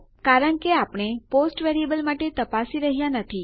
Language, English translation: Gujarati, Thats because were not checking for our post variable